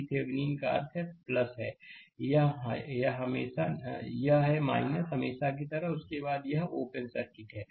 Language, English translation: Hindi, V Thevenin means, this is plus and this is your minus as usual and after this and it is open circuit